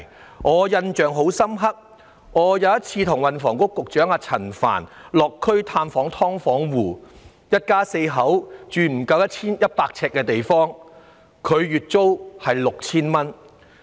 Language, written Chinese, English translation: Cantonese, 令我印象深刻的是，有一次與運輸及房屋局局長陳帆落區探訪"劏房戶"，看到有一家四口居住在面積不足100平方呎的地方，月租卻竟高達 6,000 元。, What left me with a deep impression was that I once visited a household living in a subdivided unit together with Secretary for Transport and Housing Frank CHAN and that family of four was living in a unit with an area of less than 100 sq ft but its monthly rent was as high as 6,000